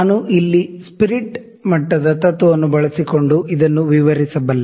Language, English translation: Kannada, So, I can explain this using the principle of the spirit level here